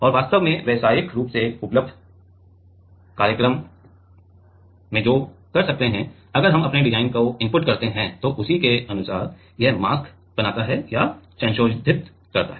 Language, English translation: Hindi, And there are actually, commercially available programs are there which can; if we input our design then accordingly it creates or modifies the mask